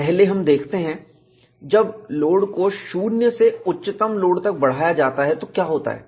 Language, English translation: Hindi, We first look at, what happens when the load is increased from 0 to the peak load